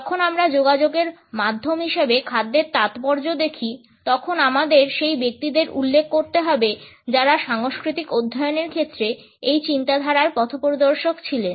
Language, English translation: Bengali, When we look at the significance of food as a means of communication, we have to refer to those people who had pioneered this thought in the area of cultural studies